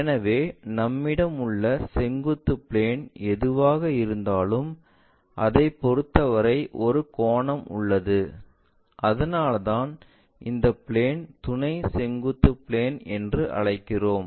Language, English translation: Tamil, So, whatever the vertical plane we have with respect to that there is an angle and because of that we call this plane as vertical plane, auxiliary vertical plane and there is a point P